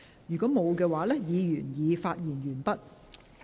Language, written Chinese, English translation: Cantonese, 如果沒有，議員已發言完畢。, If not Members have already spoken